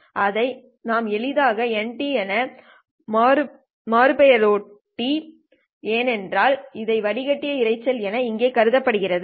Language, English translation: Tamil, We have simply renamed that one as N of T because that is the filtered noise is assumed over here